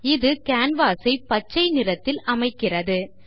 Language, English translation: Tamil, This makes the canvas green in color